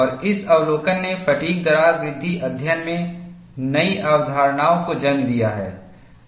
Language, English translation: Hindi, And, this observation has led to new concepts in fatigue crack growth studies